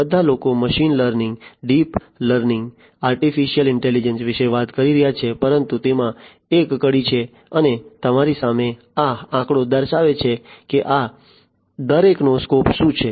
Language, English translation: Gujarati, You know all the people are talking about machine learning, deep learning, artificial intelligence, but there is a you know there is a linkage and this is this figure in front of you shows you know what is the scope of each of these